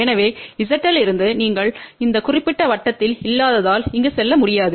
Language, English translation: Tamil, So, from Z L you cannot move in this here because you are not in this particular circle